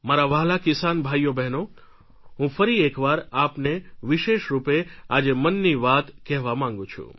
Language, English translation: Gujarati, My dear farmer brothers and sisters, today I would again like to especially share my Mann Ki Baat with you